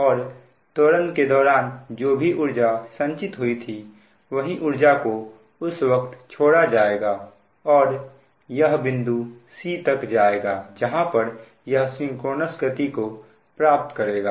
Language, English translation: Hindi, whatever energy stored during acceleration, same energy it will release during decelerating condition and it will move up to c where it attains synchronous speed